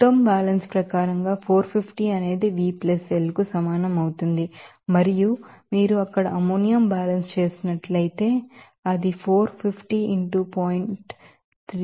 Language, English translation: Telugu, Now, material balance will give you that as per total balance 450 that will be equal to V plus L and if you do the ammonia balance there, it will come as 450 into 0